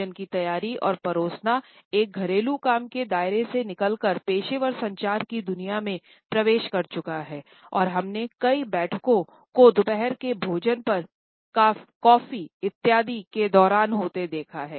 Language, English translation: Hindi, So, from a domestic chore the preparation and serving of food has entered the realm of professional communication and we look at several meetings being conducted over a lunch, during coffee breaks etcetera